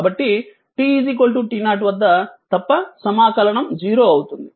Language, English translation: Telugu, So, it is 0, but except at t is equal to t 0